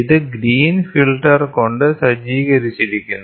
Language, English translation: Malayalam, The illuminator is equipped with a green filter